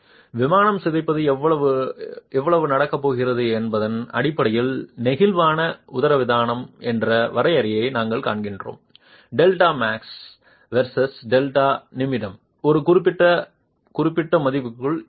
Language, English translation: Tamil, And we have seen the definition of a flexible diaphragm based on how much in plain deformation is going to happen delta max versus delta min being within a certain specific value